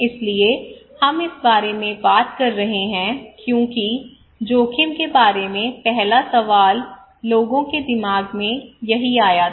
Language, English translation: Hindi, So we are talking about this one as risk appraisal the first questions came to peoples mind